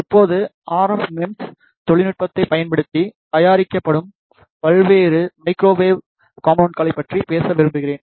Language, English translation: Tamil, Now, I would like to talk about the various microwave components, which are made using the RF MEMS technology